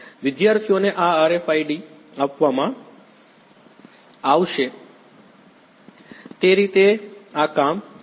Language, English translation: Gujarati, The way this is going to work is the students will be given these RFIDs